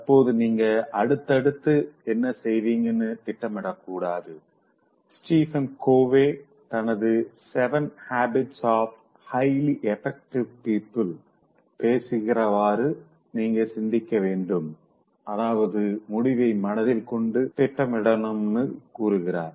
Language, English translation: Tamil, You have to think, as Stephen Covey talks about in his seven habits of highly effective people, that he says that you should plan with the end in mind